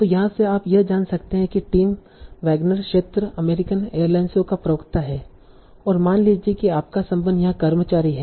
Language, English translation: Hindi, So from here you can find out the Tim Wagner region is a spokesman for American Airlines and suppose your relation is employee